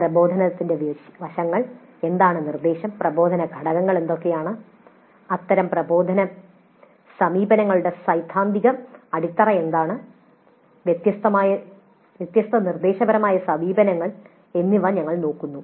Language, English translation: Malayalam, We look at the aspects of instruction, what is instruction, what are the instructional components, what are the theoretical basis for such instructional approaches, different instructional approaches, very broadly in that module we will be concerned with instruction